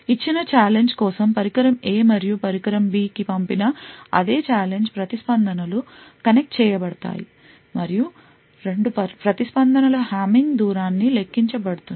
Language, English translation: Telugu, For a given challenge, the same challenge sent to the device A and in other device B, the responses are connected and the hamming distance between the 2 responses is computed